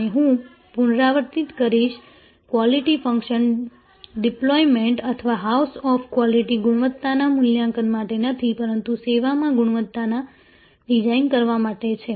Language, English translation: Gujarati, And I will repeat Quality Function Deployment or house of quality is not for assessment of quality, but for designing quality in the service